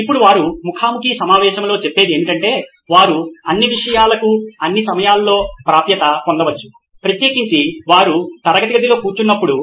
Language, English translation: Telugu, Now what they come up in the interviews is they might not be accessible to all the content at all times especially when they are sitting inside a classroom